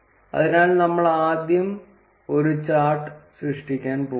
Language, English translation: Malayalam, So, we would first go to create chart